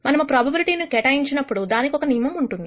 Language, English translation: Telugu, When we assign this probability it has to follow certain rules